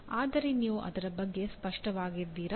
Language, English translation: Kannada, But are you clear about it